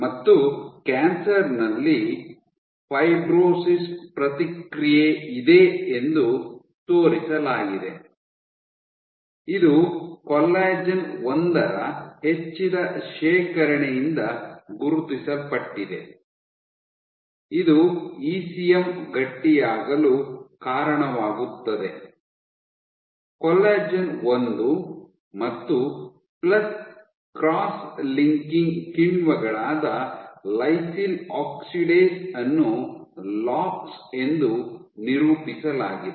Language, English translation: Kannada, And shown that in cancer you have this response of Fibrosis, marked by increased deposition of Collagen 1, this leads to ECM Stiffening; Collagen 1 and plus cross linking we are enzymes like lysyl oxidase also represented as LOX